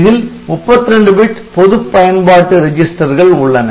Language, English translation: Tamil, So, it has 32 8 bit general purpose registers